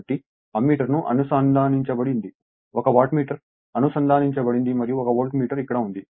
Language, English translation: Telugu, So, this is the Ammeter is connected 1 Wattmeter is connected and 1 Voltmeter is here